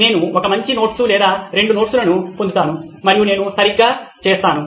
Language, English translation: Telugu, I get one good notes or two number of notes and I am done right